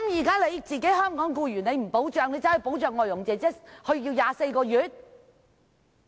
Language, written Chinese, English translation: Cantonese, 不保障香港僱員，反而要保障外傭，延長時限至24個月？, Why are we providing protection to foreign domestic helpers by extending the time limit to 24 months but not to Hong Kong employees?